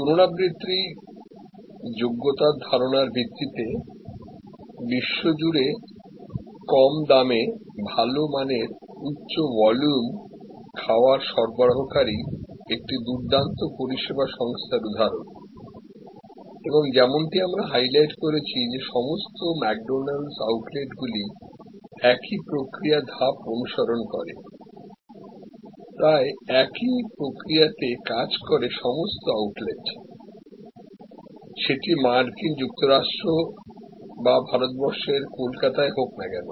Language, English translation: Bengali, Example of a great service organization providing good quality, high volume meals at low cost across the world, based on the idea of reproducibility and as we highlighted that all McDonalds outlets, they operate almost on the same process model following the same process steps replicated at all outlets, whether in USA or Calcutta